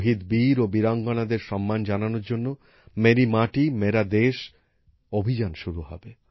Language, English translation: Bengali, 'Meri Mati Mera Desh' campaign will be launched to honour our martyred braveheart men and women